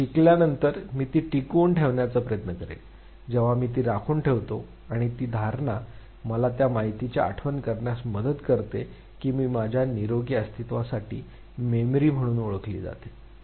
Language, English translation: Marathi, After I have learned I will try to retain it, when I retain it and that retention helps me recollect that information which further facilitates my healthy survival that is what is called as Memory